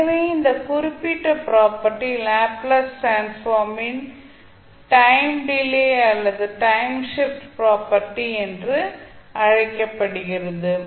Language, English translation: Tamil, So this particular property is called time delay or time shift property of the Laplace transform